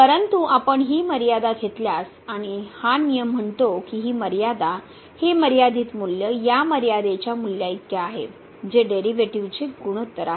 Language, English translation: Marathi, But if you take this limit and this rule says that this limit, this limiting value is equal to this limiting value which is the ratio of the derivatives